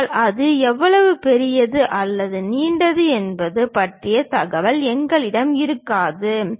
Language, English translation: Tamil, But, we will not be having information about how large or long it is